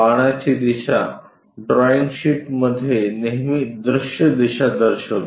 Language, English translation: Marathi, The arrow direction always represents in the drawing sheets as the direction of view